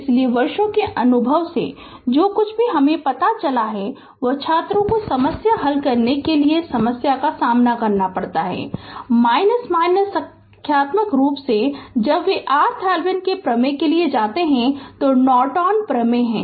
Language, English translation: Hindi, So, whatever over the years my experience shows, that students they face problem for solving problem your numerical particularly, when they go for Thevenin’s theorem are Norton theorem